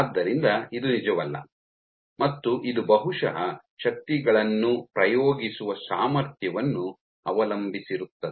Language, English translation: Kannada, So, this is not true, and this perhaps depends on the ability to exert forces